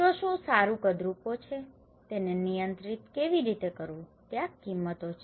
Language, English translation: Gujarati, So, what is good ugly, how to control that one these values okay